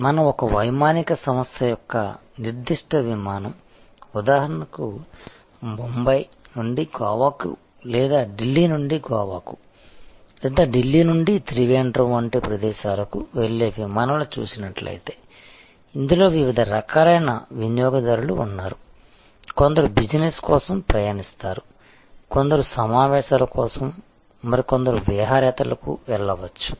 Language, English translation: Telugu, Say for example, Bombay to Goa or we are looking at Delhi to Goa or Delhi to Trivandrum and similar flights, flights, where we have a mix of customers, some are traveling on business, some are traveling for conferences, some are traveling for pleasure and tourism and so on